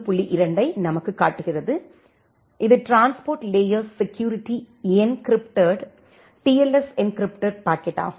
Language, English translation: Tamil, 2 which is the transport layer security encrypted TLS encrypted packet